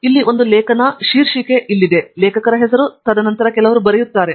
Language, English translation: Kannada, Here is an article; the title is here, the author name, and then some write up